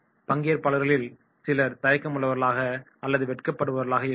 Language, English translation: Tamil, There might be certain participants those who are hesitant or shy